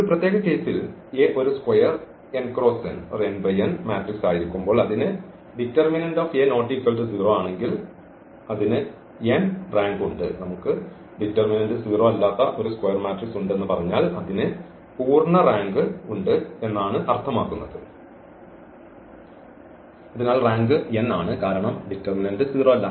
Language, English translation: Malayalam, In a particular case when A is a square n cross n matrix it has the rank n, if the determinant A is not equal to 0 say if we have a square matrix and its determinant is not equal to 0 then it has a full rank, so the rank is n because determinant itself is not 0